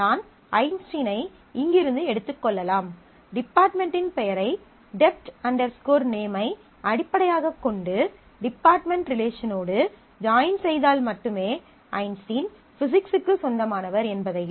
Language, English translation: Tamil, So, I have to pick up Einstein from here, do a join based on the department name, dept name with the department table department relation and then only, I will be able to find out that an Einstein belongs to Physics